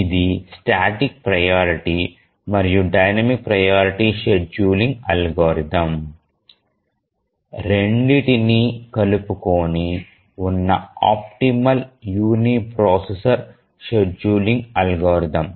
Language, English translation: Telugu, It is the optimal uniprocessor scheduling algorithm including both static priority and dynamic priority scheduling algorithms